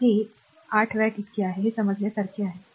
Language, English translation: Marathi, So, it is 8 watt so, it is understandable